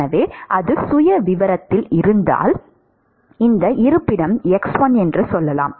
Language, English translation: Tamil, So, if that is the profile at let us say this location x1